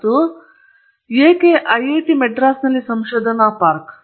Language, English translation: Kannada, And why IITM research park